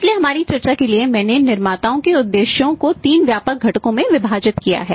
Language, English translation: Hindi, So, here for our discussion I have divided the the manufacturers motive into three broad components